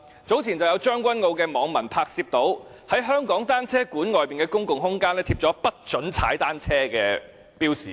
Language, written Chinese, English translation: Cantonese, 早前，將軍澳的網民拍攝到，在香港單車公園的公共空間，貼上"請勿踏單車"的標示。, Not long ago netizens in Tseung Kwan O photographed a sign reading no cycling in the public space of the Hong Kong Velodrome Park